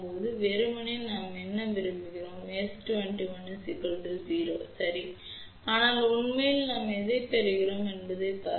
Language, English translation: Tamil, Ideally what do we want we want S 2 1 to be equal to 0 ok, but in a reality what we are getting let us see